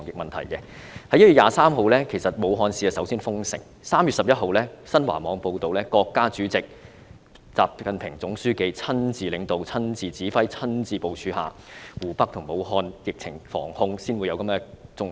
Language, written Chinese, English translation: Cantonese, 在1月23日，武漢市率先封城 ；3 月11日，新華網報道，在國家主席習近平總書記親自領導、親自指揮、親自部署下，湖北省和武漢市的疫情防控才取得重要成果。, On 23 January Wuhan City took the lead in closing off itself . On 11 March it was reported on XinhuaNet that personally led directed and planned by President XI Jinping the General Secretary of the Communist Party of China the prevention and control measures against the epidemic in Hubei Province and Wuhan City had achieved remarkable results